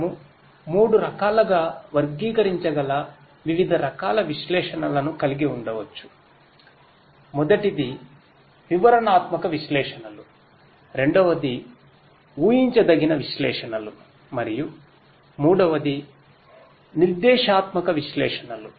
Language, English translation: Telugu, We could have analytics of different types which can be classified into three; first is the descriptive analytics, second is the predictive analytics and the third is the prescriptive analytics